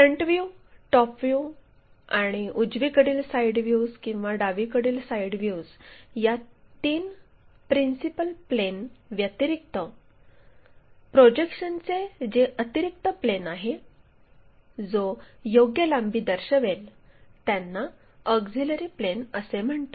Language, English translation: Marathi, The additional planes of projection other than three principal planes of projections that is of a front view, top view and right side or left side views, which will show true lengths are called these auxiliary planes